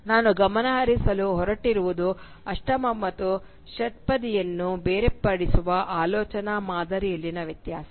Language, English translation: Kannada, What I am going to focus on is the difference in the thought pattern which separates the octave and the sestet